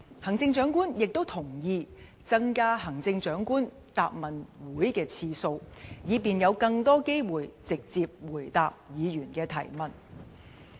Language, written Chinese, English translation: Cantonese, 行政長官亦同意增加行政長官答問會的次數，以便有更多機會直接回答議員的提問。, The Chief Executive has also agreed to increase the number of Chief Executives Question and Answer Sessions to have more opportunities to respond to Members questions directly